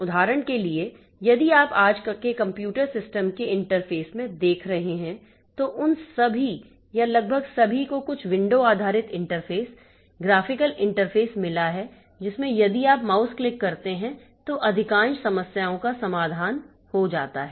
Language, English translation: Hindi, For example, if you are looking into today's interface to today's computer systems, so all of them or almost all of them have got some window based interface, graphical interface in which a few mouse clicks solves most of the problems